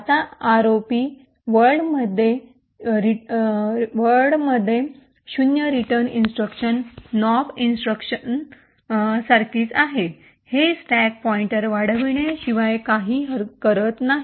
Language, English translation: Marathi, Now in the ROP world the return instruction is simpler to a no opt instruction, it does nothing but simply just increments the stack pointer